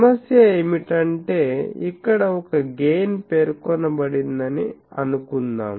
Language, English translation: Telugu, Suppose, the problem is a gain is specified